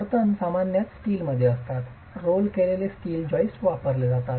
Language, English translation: Marathi, The supports are typically in steel, roll steel joists are used